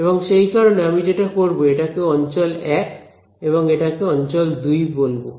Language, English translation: Bengali, And so, what I will do is, I will call this as region 1 and this is region 2